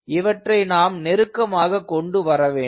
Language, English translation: Tamil, so we want to bring them closer